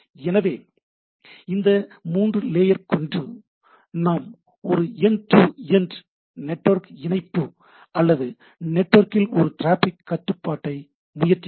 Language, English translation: Tamil, So, what we see that with this 3 layer, we try to have a end to end some network connectivity or some sort of a traffic control in the network, right